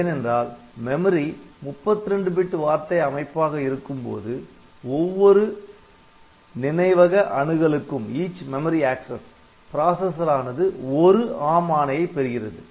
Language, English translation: Tamil, Because when the memory is organized as 32 bit word in each memory access the processor gets one ARM instruction